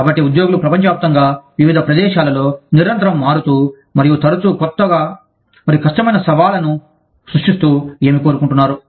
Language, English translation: Telugu, So, what employees want, in various locations, around the world, is constantly changing, and often creates new and difficult challenges